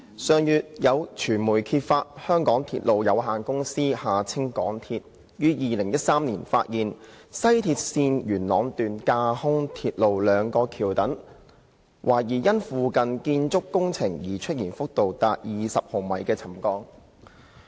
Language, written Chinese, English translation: Cantonese, 上月有傳媒揭發，香港鐵路有限公司於2013年發現，西鐵綫元朗段架空鐵路兩個橋躉懷疑因附近建築工程而出現幅度達20毫米的沉降。, Last month the media uncovered that the MTR Corporation Limited MTRCL had discovered in 2013 that two viaduct piers of the Yuen Long section of West Rail Line showed subsidence of up to 20 millimetres allegedly due to the construction works nearby